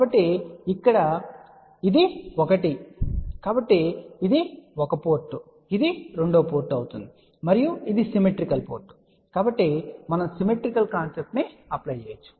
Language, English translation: Telugu, So, we say that this one here is 1 so this will be 1 port, 2 port and this is a symmetrical port, so we can apply the concept of the symmetry